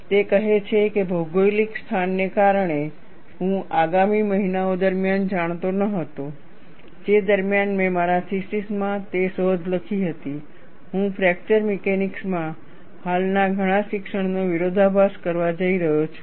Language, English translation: Gujarati, He says, because of the geographic location, I was not aware, during the ensuing months, during which I wrote up the discovery into my thesis, that I was going to contradict many of the existing teachings in fracture mechanics